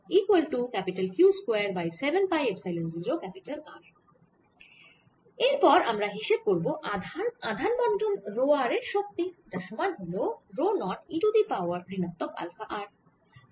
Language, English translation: Bengali, next, we want to calculate the energy of a charge distribution: rho r, which is equal to rho zero, e raise to minus alpha r